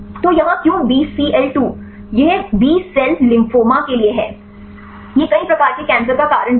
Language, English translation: Hindi, So, here the why Bcl 2; this is stands for B cell lymphoma; this is also a cause for several types of cancers